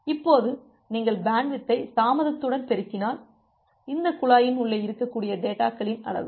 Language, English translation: Tamil, Now if you multiply bandwidth with latency, you can think of it as the amount of data that can be there inside this pipe